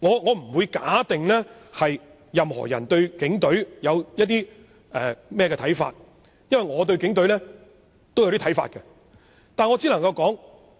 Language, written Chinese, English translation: Cantonese, 我不會確定任何人對警隊有何看法，因為我對警隊也有一些看法。, I do not know how other people think of the Police Force because I also have some views on the Police